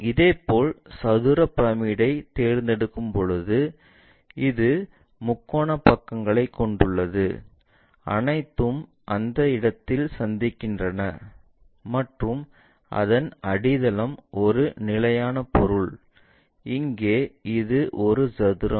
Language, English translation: Tamil, Similarly, let us pick square pyramid we have triangular faces all are again meeting at that point and the base is a fixed object, here in this case it is a square